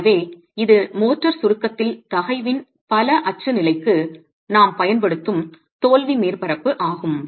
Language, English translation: Tamil, So this is the failure surface that we would use for the multi axial state of stress in compression of the motor